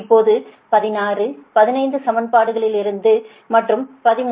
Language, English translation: Tamil, s now from equations sixteen, fifteen and thirteen